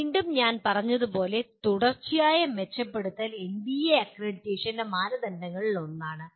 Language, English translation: Malayalam, And again as I said continuous improvement is one of the criterion of NBA accreditation